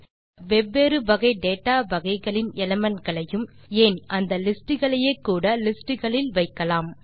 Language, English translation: Tamil, Thus, we can put elements of different data types in lists including lists itself